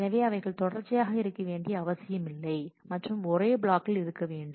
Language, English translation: Tamil, So, they are not necessarily consecutive and residing on the on the same block